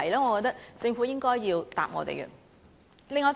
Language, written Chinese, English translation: Cantonese, 我覺得政府應該要回應這問題。, I think the Government should respond to this question